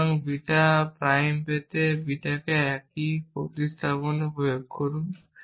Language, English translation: Bengali, So, apply the same substitution to beta to get beta prime